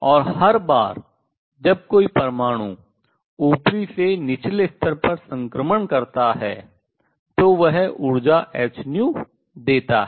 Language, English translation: Hindi, And each one every time an atom makes a transition from upper to lower level it gives out energy h nu